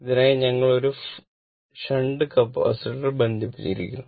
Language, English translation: Malayalam, 9 for which we have connected one shunt Capacitor right